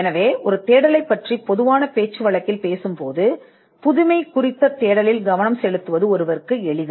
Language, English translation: Tamil, So, in common parlance when you talk about a search, it is easy for somebody to focus on a search for novelty